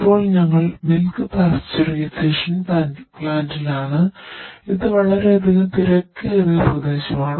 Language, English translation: Malayalam, And now we are at milk pasteurisation plants, where we can see here too much crowdy area is there